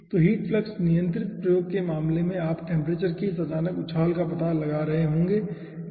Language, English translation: Hindi, okay, so in case of heat flux controlled experiment, you will be finding out this sudden jump of the temperature